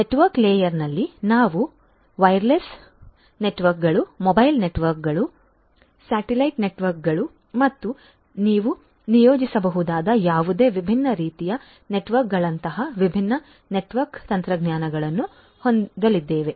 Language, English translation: Kannada, In the network layer we are going to have different different network technologies such as wireless networks, mobile networks, satellite networks and any other different type of network that you can think of